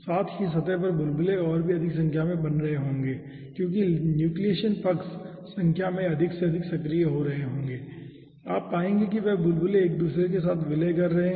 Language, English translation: Hindi, 2 also, bubble will be forming more in number over the surface because nucleation sides will be becoming activated more and more in number, and you will find out those bubbles are merging with each other and they are forming a horizontal film